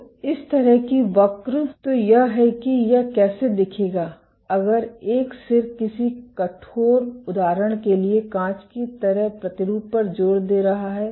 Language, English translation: Hindi, So, this kind of curve, so this is how it will look if a tip is indenting a stiff sample like glass example glass